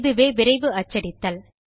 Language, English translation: Tamil, This is known as Quick Printing